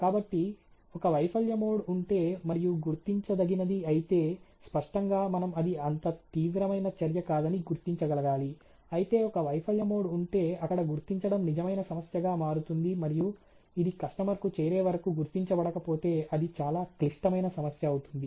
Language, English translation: Telugu, So, a if there is a failure mode and is detectable then obviously which should be able to recognize that to relatively not such a serious activities, but then is if there is a failure mode were detection become real issue or a real problem, and it can go undetected to all way to the customer that becomes a very, very critical issue